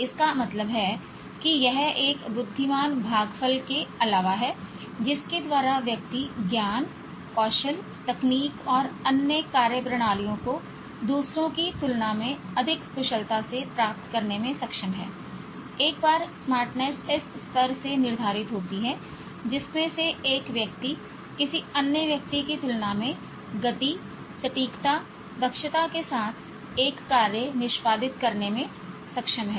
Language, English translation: Hindi, This means apart from one's IQ, that is apart from one's intelligent quotient by which one is able to acquire knowledge, skills, techniques and other methodologies, much more efficiently than others, one's smartness is determined by this level in which one is able to execute a task with speed, accuracy, efficiency, much more than the other person